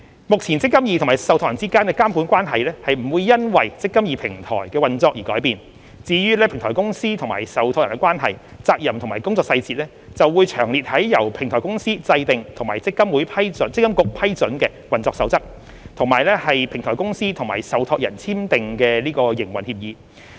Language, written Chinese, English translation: Cantonese, 目前積金局與受託人之間的監管關係並不會因"積金易"平台的運作而改變，至於平台公司與受託人的關係、責任和工作細節，則會詳列於由平台公司制訂及積金局批准的運作守則，以及平台公司與受託人簽訂的營運協議。, The implementation of the eMPF Platform will not affect the existing regulatory relationship between MPFA and the trustees . The relationship between the Platform Company and the trustees as well as their responsibilities and details of work will be clearly set out in the Operating Rules formulated by the Platform Company and approved by MPFA and the operating agreement to be signed between the Platform Company and the trustees